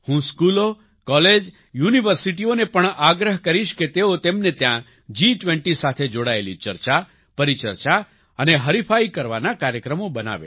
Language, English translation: Gujarati, I would also urge schools, colleges and universities to create opportunities for discussions, debates and competitions related to G20 in their respective places